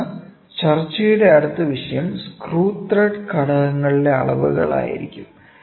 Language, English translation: Malayalam, Then, the next topic of discussion is going to be measurements of screw thread elements